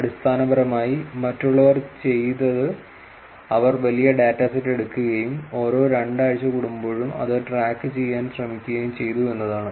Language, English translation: Malayalam, Essentially, what others did was they took the large data set and they were they tried tracking it every fortnight